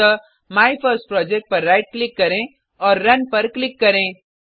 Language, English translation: Hindi, Again right click on MyFirstProject , click on Run